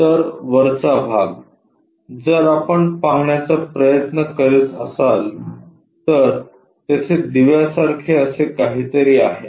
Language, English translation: Marathi, So, the top portion, if we are trying to look at, there are lights here something like this